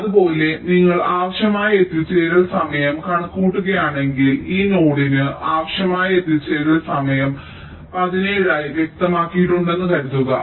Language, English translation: Malayalam, similarly, if you calculate the required arrival time, suppose the required arrival time for this node was specified as seventeen